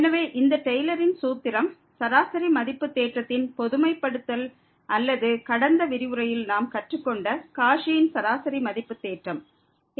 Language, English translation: Tamil, So, this Taylor’s formula which is a generalization of the mean value theorem or the Cauchy's mean value theorem which we have learned in the last lecture